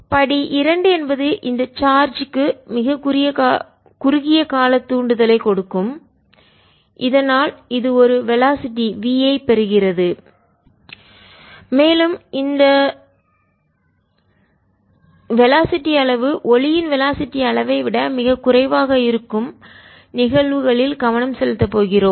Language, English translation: Tamil, step two gave and impulse of very short duration, tau to this charge so that it gain a velocity v, and again we want to focus on the cases where the magnitude of the velocity is much, much less then this field of light